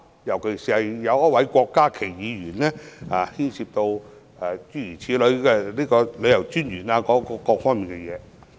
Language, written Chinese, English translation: Cantonese, 尤其是，郭家麒議員便討論到旅遊事務專員等各方面。, One particular example is Dr KWOK Ka - ki who talked about the Commissioner for Tourism and the like